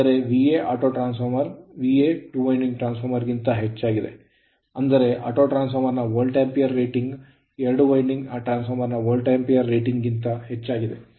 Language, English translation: Kannada, That means, V A auto is greater than your V A two winding transformer that is that is Volt ampere rating of the autotransformer greater than your Volt ampere rating of the two winding transformer right